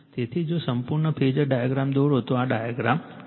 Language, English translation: Gujarati, So, if you if you draw the complete phasor diagram , right, if you draw the complete phasor diagram so, this is the diagram